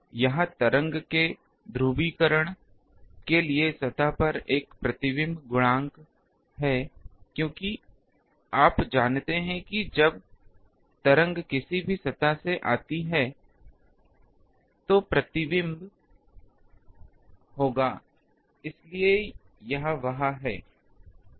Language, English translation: Hindi, It is a reflection coefficient of the surface for the polarization of the wave because you know that when the wave come from any surface there will be a reflection, so it is there